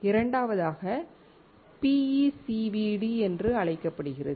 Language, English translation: Tamil, Second one is called PECVD